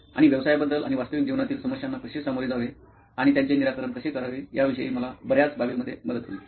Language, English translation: Marathi, And it is helping me with many aspects to know about businesses and how to deal with real life problems and solve them